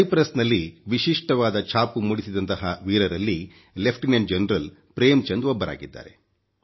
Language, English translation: Kannada, Lieutenant General Prem Chand ji is one among those Indian Peacekeepers who carved a special niche for themselves in Cyprus